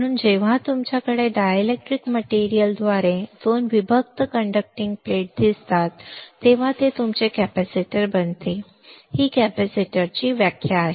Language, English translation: Marathi, So, when you have 2 conducting plate separated by dielectric material it becomes your capacitor, that is the definition of a capacitor